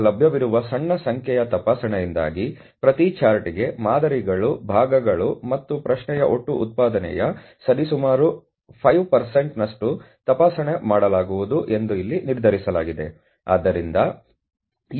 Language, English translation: Kannada, Now due to small number of available inspection personal it has been decided here that for each chart the sample would be inspected approximately 5% of the total production on the parts and question